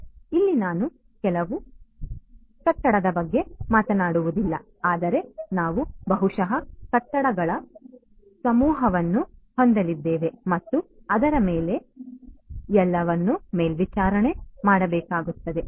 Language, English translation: Kannada, So, here we are not just talking about a single building, but we are going to have maybe a cluster of buildings and so on which all will have to be monitored right